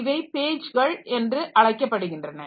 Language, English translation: Tamil, So, these are called pages